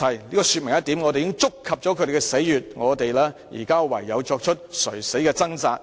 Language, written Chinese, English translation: Cantonese, 這說明一點，我們已觸及了他們的死穴，他們現在唯有作出垂死的掙扎。, This explains one thing We have touched their death spot . Now they can only put up the last - ditch struggle